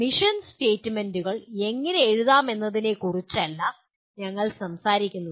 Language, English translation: Malayalam, We are not talking about how to write mission statements